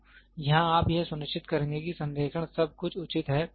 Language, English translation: Hindi, So, here you will make sure the alignment everything is proper